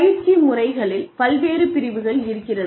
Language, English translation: Tamil, So, various types of training methods